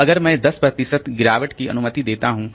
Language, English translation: Hindi, So, if I allow 10 percent degradation, so that is 220